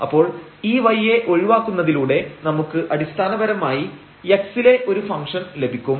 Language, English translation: Malayalam, So, by removing this y from here we have basically this function of x